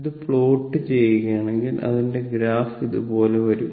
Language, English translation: Malayalam, So, if you plot this, if you plot this it graph will come like this